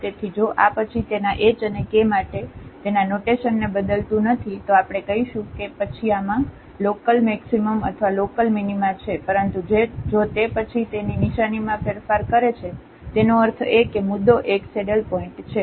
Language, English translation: Gujarati, So, if this does not change its sign for sufficiently a small h and k then, we call that then this has a local maxima or local minima, but if it changes its sign then; that means, the point is a saddle point